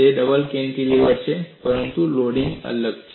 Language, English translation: Gujarati, It is a double cantilever, but the loading is different